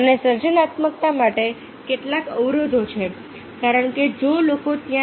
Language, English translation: Gujarati, and there are some barriers to creativity because if the people are there, they are not